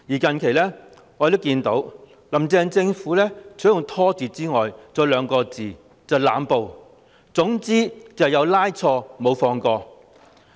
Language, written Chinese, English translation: Cantonese, 近來，我們看到"林鄭"政府除了施以"拖字訣"外，還有兩個字，就是"濫捕"，總之"有拉錯，無放過"。, Recently we have seen two more words from the Carrie LAM Administration apart from procrastination knack and they are arbitrary arrests meaning no matter what better to arrest the wrong person than to let him go